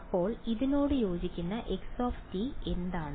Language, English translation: Malayalam, Now what is the x corresponding to this